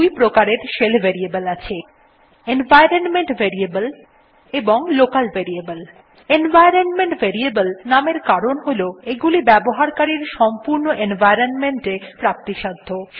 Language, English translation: Bengali, There are mainly two kinds of shell variables: Environment Variables and Local Variables Environment variables, named so because they are available entirely in the users total environment